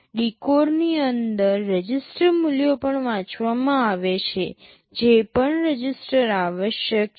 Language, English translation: Gujarati, Within the decode, the register values are also read whatever registers are required